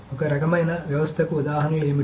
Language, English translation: Telugu, So what are examples of these kinds of systems